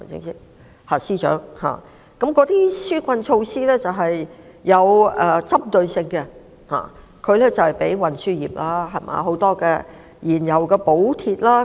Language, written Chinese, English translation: Cantonese, 那些紓困措施是有針對性的，例如專為運輸業提供的燃油補貼。, Those relief measures are targeted measures such as the fuel cost subsidies provided specifically for the transport sector